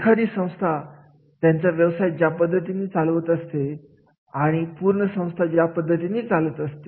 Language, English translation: Marathi, The way the organization conducts business and all the organization itself